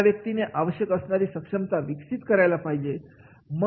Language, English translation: Marathi, He has to be developed for the required competency